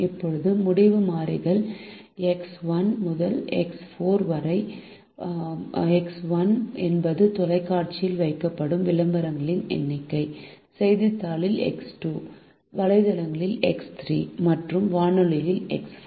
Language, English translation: Tamil, now the decision variables are x one to x four, where x one is the number of advertisements placed in television, x two in newspaper, x three in websites and x four in radio